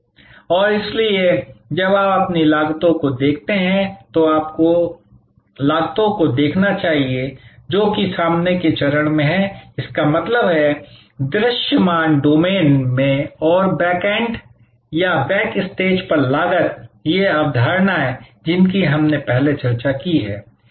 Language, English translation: Hindi, And therefore, when you look at your costs, you should look at costs, which are on the front stage; that means, in the visible domain and costs at the backend or backstage, these concepts we have discussed earlier